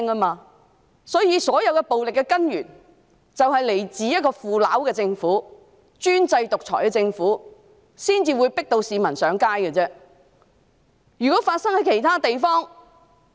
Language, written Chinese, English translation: Cantonese, 因此，所有暴力行為均源於一個腐朽和專制獨裁的政府，市民才會被迫上街。, Therefore all the violent acts stemmed from a corrupt despotic and autocratic government and members of the public were forced to take to the streets